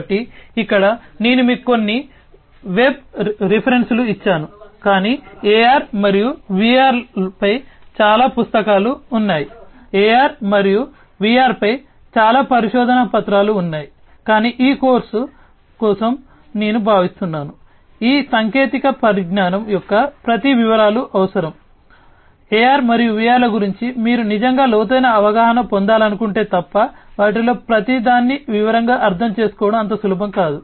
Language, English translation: Telugu, So, here I have given you some of the web references, but there are many books on AR and VR, there are many research papers on AR and VR, but I think for this course that, you know, going through in detail of each of these technologies is necessary, it is not easy to understand each of them in detail unless you want to really you know get an in depth understanding though about AR and VR